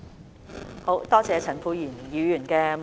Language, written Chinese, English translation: Cantonese, 多謝陳沛然議員的補充質詢。, I thank Mr Charles Peter MOK for his supplementary question and concern